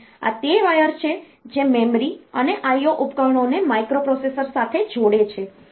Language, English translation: Gujarati, So, this is the wires that connect the memory and the I O devices to the microprocessor